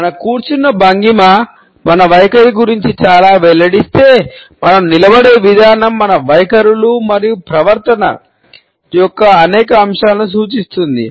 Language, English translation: Telugu, If our sitting posture reveals a lot about our attitudes, the way we stand also indicates several aspects of our attitudes and behaviour